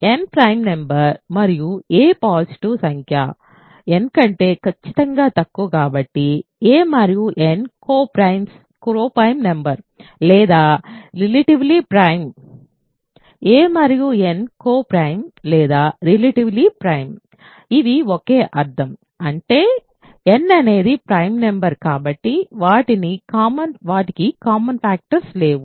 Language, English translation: Telugu, Since n is prime and a is a positive number strictly less than n, a and n are co prime or relatively prime; a and n are relatively prime or co prime, these are they mean the same; that means, they have no common factors because n is a prime number